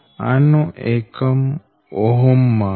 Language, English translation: Gujarati, this, its unit, is ohm